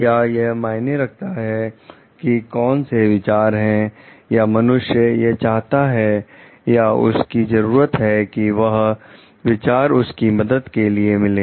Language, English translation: Hindi, Does it matter what the ideas are or the human wants or needs that those ideas help meet